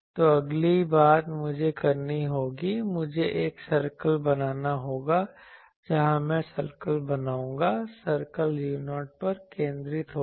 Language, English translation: Hindi, So, the next thing I will have to do, I will have to draw a circle I will have to draw a circle, where I will draw the circle, the circle will be at centered at u 0 the circle will be centered at u 0